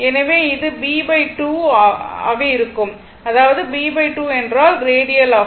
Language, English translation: Tamil, So, it is basically b by 2 is the radius